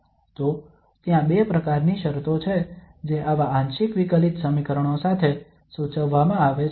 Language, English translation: Gujarati, So there are two types of conditions which are prescribed along with such partial differential equations